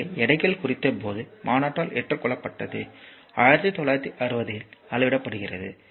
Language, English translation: Tamil, So, adopted by the general conference on weights are measured that was in 1960